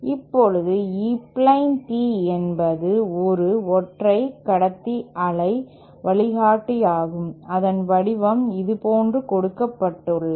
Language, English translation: Tamil, Now, E plane tee is a single conductor waveguide whose shape is given like this